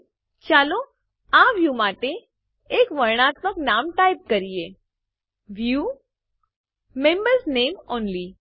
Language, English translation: Gujarati, Here, let us type a descriptive name for this view: View: Members Name Only